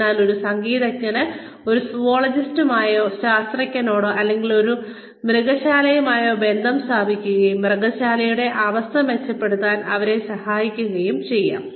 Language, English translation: Malayalam, So, a musician could tie up, with a zoologist or a botanist, or with a zoo, and help them improve the zoo conditions